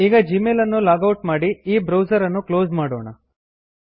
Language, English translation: Kannada, Lets log out of Gmail and close this browser